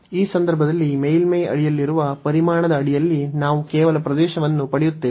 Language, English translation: Kannada, So, we will get just the area under this the volume of under the surface in this case